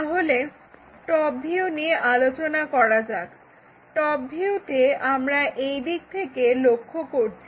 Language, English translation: Bengali, So, top view we are looking at from that direction